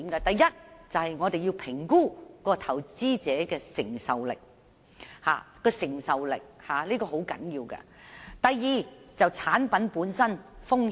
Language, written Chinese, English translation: Cantonese, 第一是評估投資者的承受力，這一點相當重要；第二是評估產品本身的風險。, The first one is the assessment on an investors risk tolerance level which is rather crucial and the second being the assessment on the risk exposures of a recommended product